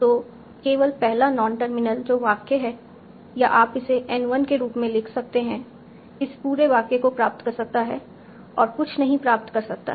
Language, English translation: Hindi, So, only the first non terminal that is sentence or you can write it as n1 can derive this whole sentence, nothing else can derive